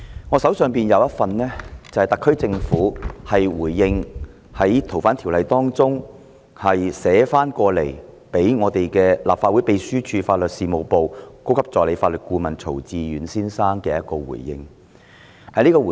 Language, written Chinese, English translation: Cantonese, 我手上有一份特區政府就《2019年逃犯及刑事事宜相互法律協助法例條例草案》，向立法會秘書處法律事務部高級助理法律顧問曹志遠先生作出的回應。, I have with me a copy of the reply from the SAR Government to Mr Timothy TSO the Senior Assistant Legal Advisor of the Legal Service Division of the Legislative Council Secretariat regarding the Fugitive Offenders and Mutual Legal Assistance in Criminal Matters Legislation Amendment Bill 2019 the Bill